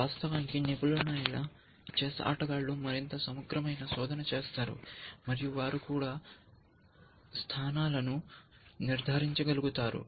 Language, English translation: Telugu, Of course, expert chess players tend to do more exhaustive search, they also tend to be able to judge positions